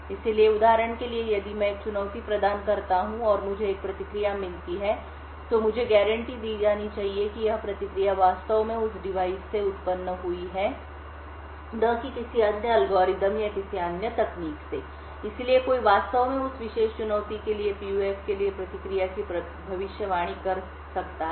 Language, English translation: Hindi, So, for example, if I provide a challenge and I obtain a response I should be guaranteed that this response is actually originated from that device and not from some other algorithm or some other technique, So, someone could actually predict the response for the PUF for that particular challenge